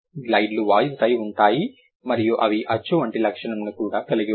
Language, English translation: Telugu, Glides, they have voice, they are voiced and they also have vowel like quality